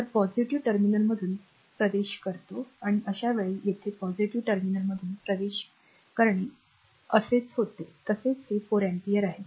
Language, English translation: Marathi, So, current entering through the positive terminal and in this case here also current entering through the positive terminal goes like this, goes like this is also 4 ampere